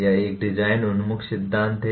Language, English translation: Hindi, It is a design oriented theory